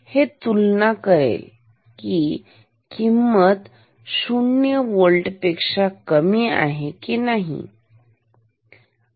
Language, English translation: Marathi, It compares whether this value is higher than 0 volt or not, ok